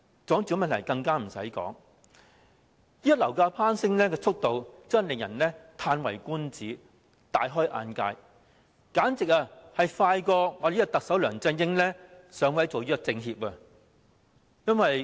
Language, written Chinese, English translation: Cantonese, 住屋問題更不消說，現時樓價攀升的速度真的令人嘆為觀止、大開眼界，簡直比特首梁振英上位做政協副主席還要快。, The housing problem readily speaks for itself . Now the speed at which the property price spirals is really a stunning eye - opener . It is even faster than Chief Executive LEUNG Chun - yings climb to the position of Vice - Chairman of the Chinese Peoples Political Consultative Conference